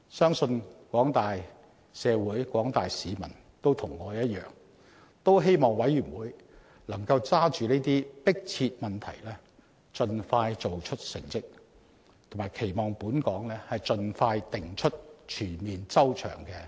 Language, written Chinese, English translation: Cantonese, 相信廣大社會及市民也與我一樣，希望委員會能抓緊這些迫切問題盡快做出成績，並期望本港盡快制訂全面及周詳的保護兒童政策。, I believe the general public like me hopes the Commission can address such pressing problems and achieve results promptly and expects the expeditious formulation of a comprehensive and well thought - out policy on protection of children in Hong Kong